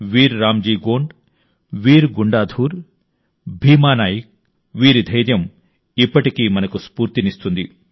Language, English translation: Telugu, Be it Veer RamJi Gond, Veer Gundadhur, Bheema Nayak, their courage still inspires us